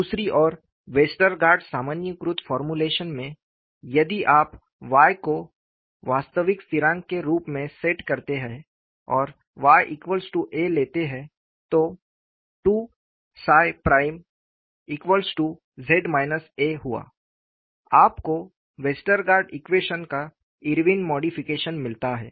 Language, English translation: Hindi, On the other hand, in the Westergaard generalized formulation, if you set Y as a real constant, assuming Y equal to A and 2 psi prime equal to Z minus A, you get the Irwin's modification of Westergaard equation